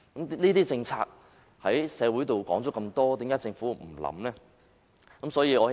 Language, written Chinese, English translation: Cantonese, 這些政策在社會上討論多時，政府卻不予以考慮。, This measure has been discussed in the community for some time but the Government has not taken it into consideration